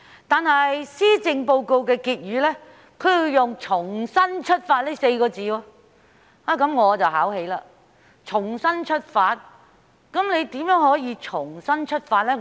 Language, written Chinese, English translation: Cantonese, 不過，施政報告的結語則用了"重新出發"這4個字，這確實把我考起，是怎樣的重新出發呢？, Yet in the closing remarks of the Policy Address the phrase Renewed Perseverance is used . I really have no idea what kind of renewed perseverance it will be